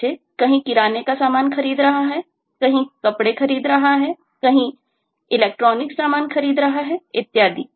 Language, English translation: Hindi, somewhere is buying groceries, somewhere is buying dresses, somewhere is buying electronic goods and so on